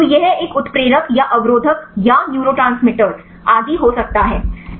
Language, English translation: Hindi, So, it could be a activator or the inhibitors or neurotransmitters etc